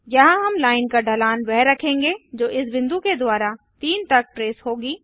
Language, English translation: Hindi, Here we are setting the slope of the line that will be traced by this point to 3